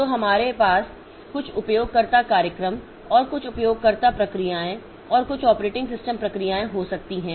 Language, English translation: Hindi, So, we can have some user programs and some user processes and some system operating system processes